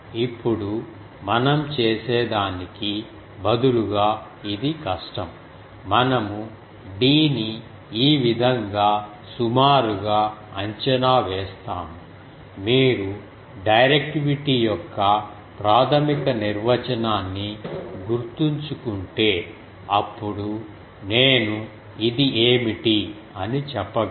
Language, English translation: Telugu, Now this is difficult instead what we do; we approximate d by like this, you see if you remember the basic definition of directivity then I can say what is it